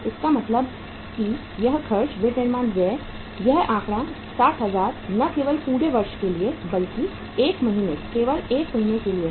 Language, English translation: Hindi, It means this expense, manufacturing expenses, this figure 60,000 is not only not for the whole of the year but only for the 1 month